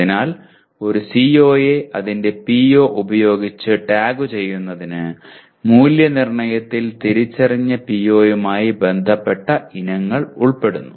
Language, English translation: Malayalam, So essentially tagging a CO with its PO requires that the assessment includes items related to the identified PO